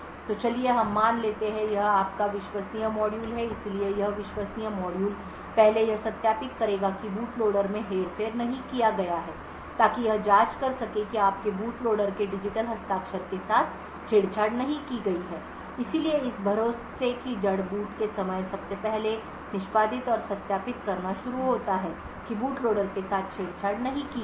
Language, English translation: Hindi, So let us assume that this is your trusted module so this trusted module would then first verify that the boot loader has not being manipulated so to do this by checking that the digital signature of your boot loader has not being tampered with so this root of trust at the time of boot first starts to execute and verifies that the boot loader has not been tampered with